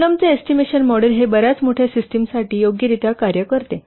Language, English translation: Marathi, Putnam's estimation model, it works reasonably well for very large system